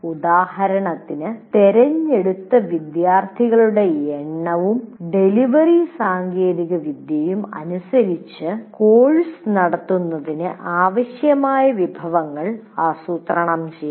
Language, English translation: Malayalam, For example, depending on the number of students and delivery technology chosen, the resources needed to conduct the course or to be planned